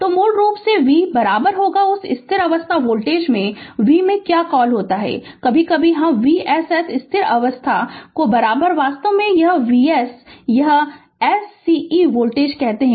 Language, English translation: Hindi, So, basically v is equal to your what you call in that steady state voltage in v infinity, sometimes, we call V s s steady state right is equal to actually V s this source voltage right